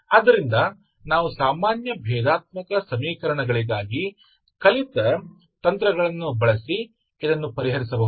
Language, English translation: Kannada, So this we can solve now using the techniques that we learned from learned for ordinary differential equations